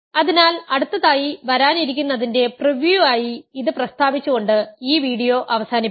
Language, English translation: Malayalam, So, let me just end this video by stating this as a preview of what will come next